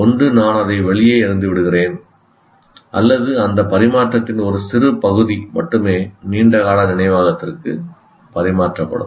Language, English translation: Tamil, Either I throw it out or only put a bit of that into transfer it to the long term memory